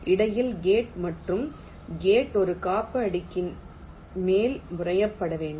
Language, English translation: Tamil, in between and gate has to be fabricated on top of a insulating layer